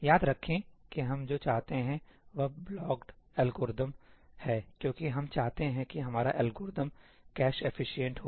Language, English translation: Hindi, remember what we want is blocked algorithms because we want our algorithm to be cache efficient